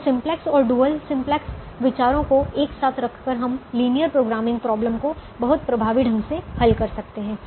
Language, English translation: Hindi, so a simplex and dual simplex ideas put together we can solve linear programming problems extremely effectively